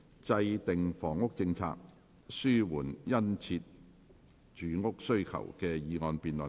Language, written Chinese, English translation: Cantonese, "制訂房屋政策紓緩殷切住屋需求"的議案辯論。, The motion debate on Formulating a housing policy to alleviate the keen housing demand